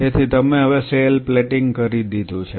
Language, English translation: Gujarati, So, this is called the cell plating